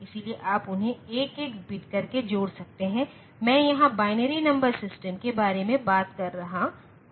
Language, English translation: Hindi, So, you can add them bit by bit, I am talking about binary number system in the here